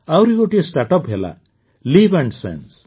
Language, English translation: Odia, Another startup is LivNSense